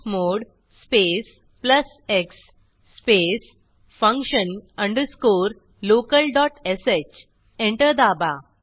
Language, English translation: Marathi, Type chmod space plus x space function underscore local dot sh Press Enter